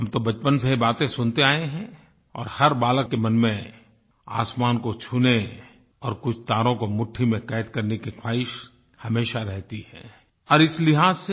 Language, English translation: Hindi, We have been hearing these things since childhood, and every child wishes deep inside his heart to touch the sky and grab a few stars